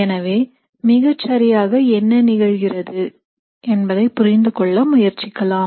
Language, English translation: Tamil, So let us try to get a deeper look to understand what exactly is happening here